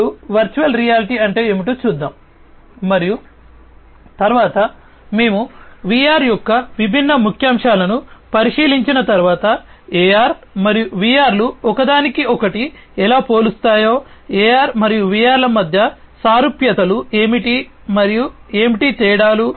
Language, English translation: Telugu, Now, let us look at what is VR and later on, you know, after we have gone through the different highlights of VR, we will see that how AR and VR they compare between each other, what are the similarities between AR and VR and what are the differences